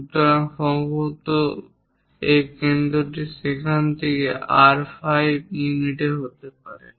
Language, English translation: Bengali, So, perhaps this is the center from there it might be at R5 units